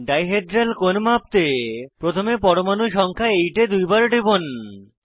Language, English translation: Bengali, For measurement of dihedral angle, first double click on atom number 8